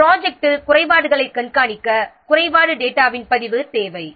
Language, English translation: Tamil, A record of the defect data is needed for tracking defects in the project